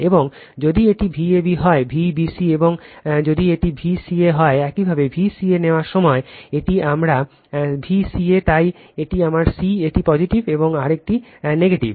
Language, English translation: Bengali, And if it is V a b could V b c and if it is V c a, when you take V c a, this is my V c a, so this is my c this is positive right, and another side is negative